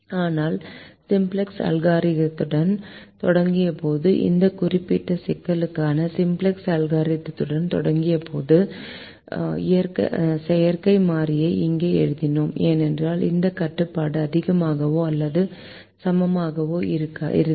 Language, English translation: Tamil, but when we started with the simplex algorithm, when we start with the simplex algorithm for this particular problem, we wrote the artificial variable here because this constraint had greater than or equal to